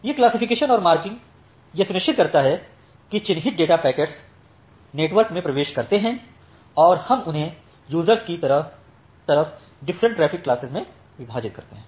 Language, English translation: Hindi, So, this classification and marking it ensures that the marked data packets they enter into the network and we divide them into different traffic classes like from the users